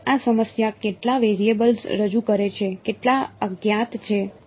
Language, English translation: Gujarati, So, how many variables does this problem present, how many unknowns are there